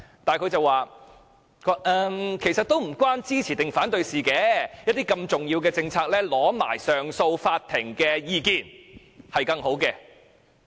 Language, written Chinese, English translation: Cantonese, 但是，他說其實與支持或反對無關，如此重要的政策，先尋求上訴法庭的意見會更好。, He said it is actually not about supporting or opposing it that he should better seek the views of the Court of Appeal when it comes to such an important policy